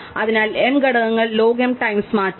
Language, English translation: Malayalam, So, m elements changes log m times